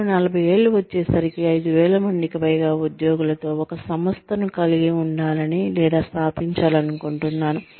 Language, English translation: Telugu, I would like to have a, or establish a company, with more than 5000 employees, by the time, I am 40